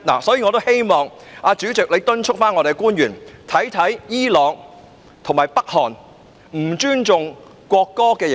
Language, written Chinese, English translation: Cantonese, 我也希望主席敦促我們的官員檢視伊朗及北韓對不尊重國歌的刑罰。, I also hope that the President will urge our public officers to look into the penalties for disrespect for the national anthem in Iran and North Korea